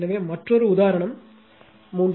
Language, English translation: Tamil, So, another one is example 3